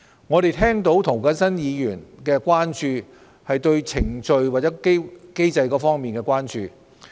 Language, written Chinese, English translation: Cantonese, 我們察悉涂謹申議員對相關程序和機制的關注。, We have noted Mr James TOs concern about the relevant procedures and mechanism